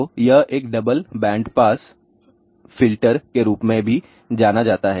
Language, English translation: Hindi, So, it is also known as a double band band pass filter